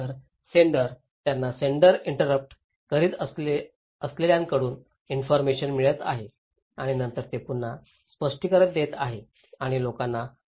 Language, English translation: Marathi, So, senders, they are getting information from senders interpreting and then they are reinterpreting and sending it to the people